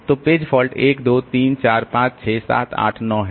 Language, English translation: Hindi, So, number of page fault is 1, 2, 3, 4, 5, 6, 7, 8, 9